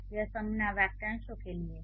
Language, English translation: Hindi, It stands for noun phrases